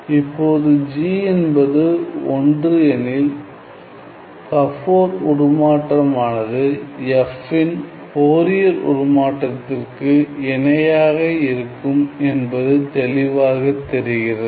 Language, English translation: Tamil, Now, it is easy to see that if I have g is identically equal to 1 my Gabor transform is identically equal to the Fourier transform of f